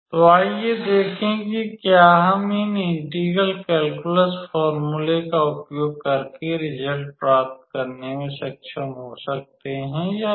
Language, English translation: Hindi, So, let us see whether we can be able to obtain using these integral calculus formula or not